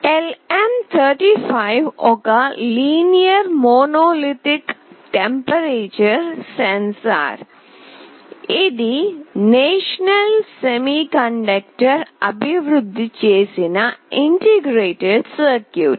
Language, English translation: Telugu, LM35 is a linear monolithic temperature sensor, this is an integrated circuit developed by National Semiconductor